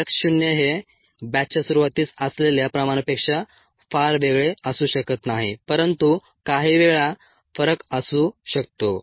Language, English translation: Marathi, ok, x zero may not be very different from the concentration at the start of the batch, but ah, sometimes there might be a difference